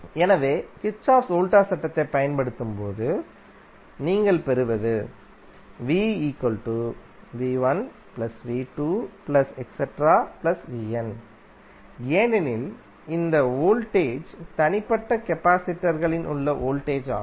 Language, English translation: Tamil, So when apply Kirchhoff’s Voltage law, you get V is nothing but V1 plus V2 and so on upto Vn because these voltages are the voltage across the individual capacitors